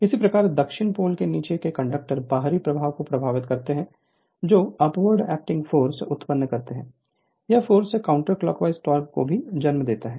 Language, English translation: Hindi, Similarly the conductors under the South Pole carrying your outward flowing current which produce upward acting force these forces also give rise to the counter clockwise torque